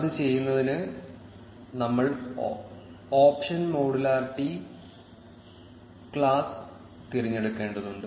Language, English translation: Malayalam, To do that, we will need to select the option modularity class